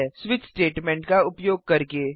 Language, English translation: Hindi, By using switch statement